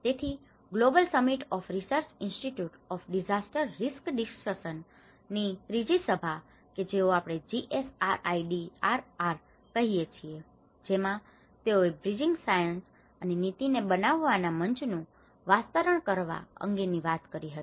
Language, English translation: Gujarati, So, in fact the Third Global Summit of research institutes of disaster risk reduction where we call it GSRIDRR and this is where they talk about the expanding the platform for bridging science and policy make